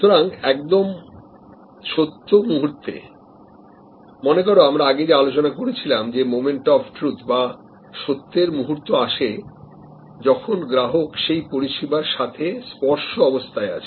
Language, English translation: Bengali, So, that at the moments of truth, remember the discussion we had before, the moments of truth happen when the customer is at a touch point with the service